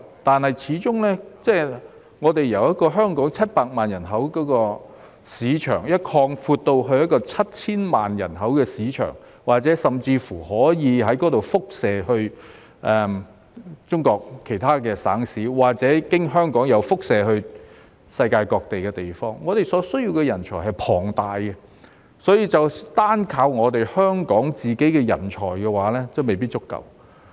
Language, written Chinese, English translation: Cantonese, 然而，始終由香港700萬人口的市場擴闊至 7,000 萬人口的市場，甚或由那裏輻射至中國其他省市或經香港輻射至世界各地，我們所需要的人才是龐大的，單靠香港本身的人才未必足夠。, However given that the size of the market will be expanded from Hong Kongs population of 7 million to that of 70 million or may even radiate to other provinces and cities in China or through Hong Kong to various parts of the world we need a huge pool of talents and talents in Hong Kong alone may not be enough